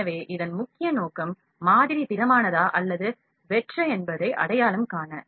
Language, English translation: Tamil, So, major purpose of this is to identify whether the model is solid or hollow